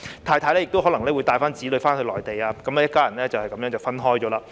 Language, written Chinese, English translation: Cantonese, 太太亦可能會帶子女返回內地，一家人就這樣分開了。, The family may fall apart if the mother takes the child back to the Mainland